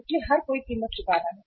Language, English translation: Hindi, So everybody is paying the cost